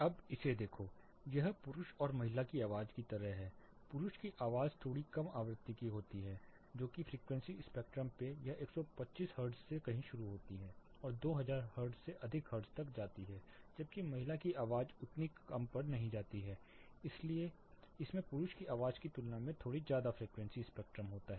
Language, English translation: Hindi, Now, look at this it is like male and female voice; male voice slightly goes to the lower frequency spectrum it is start somewhere from 125 hertz goes all the way to slightly more than 2000 hertz, whereas female voice does not go that low, but it has a slightly higher frequency spectrum than the male voice